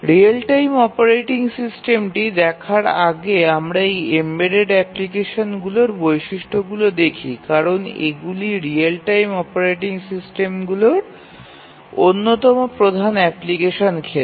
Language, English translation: Bengali, Before we look at the real time operating system let us just spend a minute or to look at the characteristics of these embedded applications because these are one of the major applications areas of real time operating systems